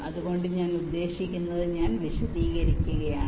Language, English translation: Malayalam, so what i mean i am just explaining